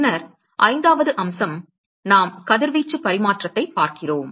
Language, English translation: Tamil, And then the fifth aspect is we look at radiation exchange